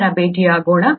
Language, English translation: Kannada, Let’s meet up later